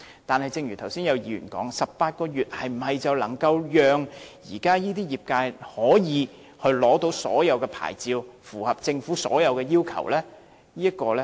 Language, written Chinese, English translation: Cantonese, 可是，正如剛才有議員提到 ，18 個月是否就能讓現時的業界可以取得各項牌照並符合政府的所有要求呢？, However as Members mentioned earlier is it possible for the industry to obtain the various licences and meet all the requirements set out by the Government in 18 months?